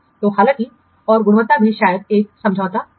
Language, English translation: Hindi, So, and the quality also may be what compromised